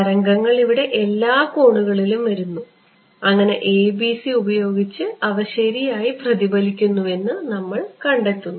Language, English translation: Malayalam, So, waves are coming at all angles over here and we are finding that with ABC’s they get reflected ok